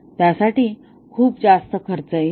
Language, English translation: Marathi, It will incur very high cost